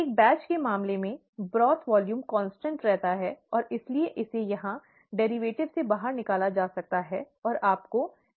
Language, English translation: Hindi, In the case of a batch, the broth volume remains a constant, and therefore it can be taken out of the derivative here, and you get V dxdt